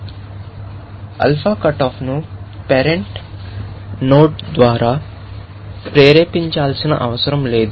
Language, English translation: Telugu, So, the alpha cut off does not have to be induced by a parent node